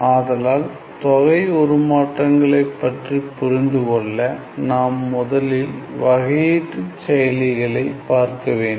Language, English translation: Tamil, So, to understand the idea of integral transforms, we need to look at the differential operators first